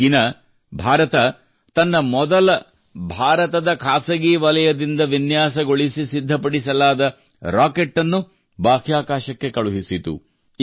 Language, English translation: Kannada, On this day, India sent its first such rocket into space, which was designed and prepared by the private sector of India